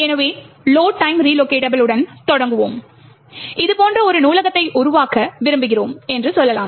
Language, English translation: Tamil, So, let us start with load time relocatable and let us say that we want to create a library like this